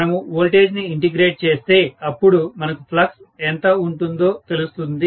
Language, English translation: Telugu, If I integrate the voltage, I should be able to get actually whatever is my flux